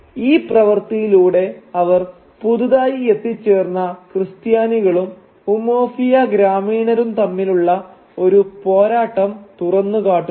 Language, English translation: Malayalam, And by doing so they bring out the conflict between the newly arrived Christians and the villages of Umuofia out into the open